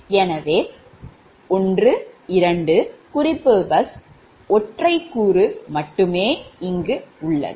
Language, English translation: Tamil, so one, two, reference bus, only single element